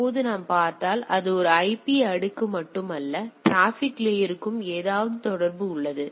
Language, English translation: Tamil, Now if we if you see it is not only IP layer, it also have some thing do with the transport layer